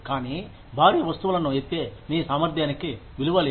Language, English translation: Telugu, But, your ability to lift heavy things, is of no value